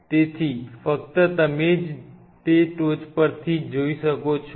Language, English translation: Gujarati, So, your only we can view it is from the top